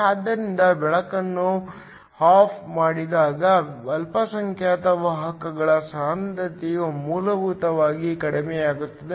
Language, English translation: Kannada, So, when the light is switched off, the concentration of the minority carriers essentially decrease